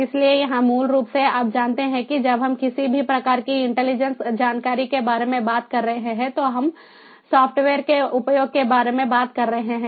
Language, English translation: Hindi, so here, basically, you know, when we are talking about intelligence of any kind, we are talking about the use of software